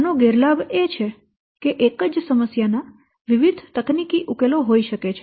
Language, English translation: Gujarati, The disadvantage that different technical solutions to the same problem may exist